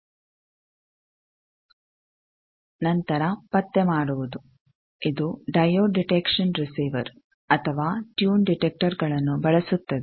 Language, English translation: Kannada, Then detection it uses diode detection receiver or tune detector